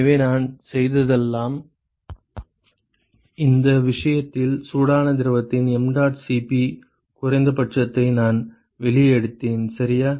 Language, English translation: Tamil, So, all I have done is I have just pulled out the minimum that is in this case the mdot Cp of the hot fluid ok